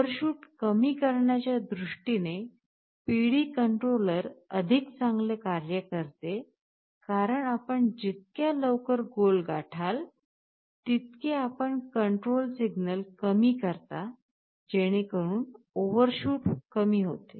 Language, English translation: Marathi, PD controller works better in terms of reducing overshoot because as you are approaching the goal faster, you reduce the control signal so that overshoot will be less